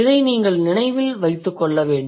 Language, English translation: Tamil, So, that is what you need to remember